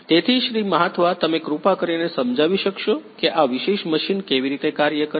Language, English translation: Gujarati, Mahathva could you please explain, how this particular machine works